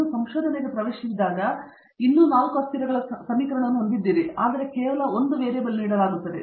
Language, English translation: Kannada, Once you get into the research you will still have an equation involving 4 variables, but you are only given 1 variable